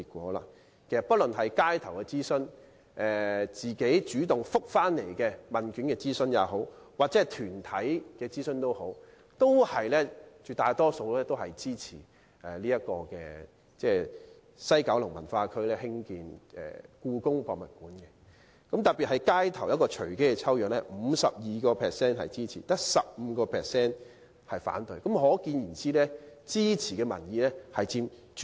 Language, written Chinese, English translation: Cantonese, 無論諮詢方式是街頭訪問、市民主動回答問卷抑或團體進行諮詢，絕大部分回應都支持在西九文化區興建故宮館，其中街頭隨機抽樣調查的結果更顯示，有 52% 支持，只有 15% 反對。, Regardless of whether the views were collected by means of street interviews questionnaires completed by members of the public on their own initiatives or questionaires from organizations the majority of them supported the development of HKPM in WKCD . What is more the findings of random street interviews even showed a support rate of 52 % and an opposition rate of only 15 %